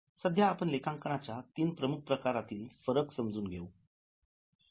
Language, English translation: Marathi, Now, there are three important streams of accounting